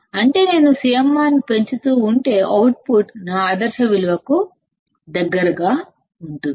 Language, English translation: Telugu, That means, we can see that, if I keep on increasing CMRR, the output is close to my ideal value